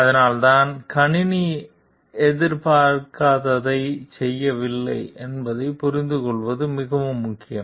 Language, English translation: Tamil, That is why it is very important to understand like the system does not do what it is not expected to do